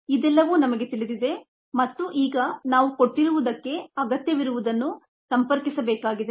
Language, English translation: Kannada, all this we know and now we need to connect what is needed to what is given